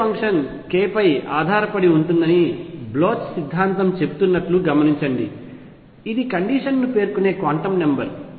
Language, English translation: Telugu, Notice that Bloch’s theorem said that wave function depends on k which is a quantum number that specifies the state